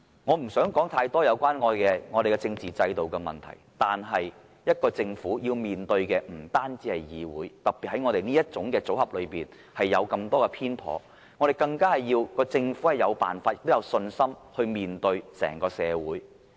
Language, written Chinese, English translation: Cantonese, 我不想說太多有關香港政治制度的問題，但政府面對的不單是議會，特別是在立法會這種組合裏，有這麼多偏頗的情況，政府更需要有辦法、有信心面對整個社會。, I do not intend to dwell on the problems with Hong Kongs political system . But I must still say that the legislature is not the only one the Government must face so it is especially important that amidst the many injustices arising from the present composition of the Legislative Council the Government must work out various means and have the confidence to face society